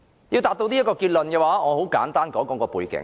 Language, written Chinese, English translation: Cantonese, 要達致這個結論，我要先簡單說說背景。, I need to give a brief background in order to explain how I arrive at this conclusion